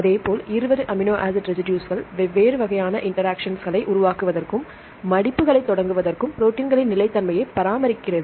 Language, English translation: Tamil, Likewise, the 20 amino acid residues they have the tendency to form different types of interactions, to initiate folding and to maintain the stability of the proteins eventually that is responsible for the function